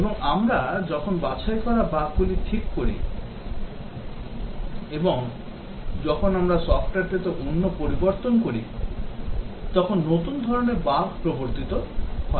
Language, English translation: Bengali, And, when we fix the bugs that have been eliminated and when we make other changes to the software, new types of bugs get introduced